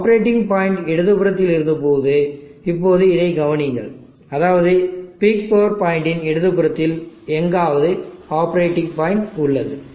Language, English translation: Tamil, Now consider this when the operating point was on the left means the left of the peak power point somewhere here the operating point is there